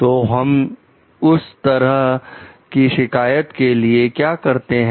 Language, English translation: Hindi, So, what do we do about so that type of complaint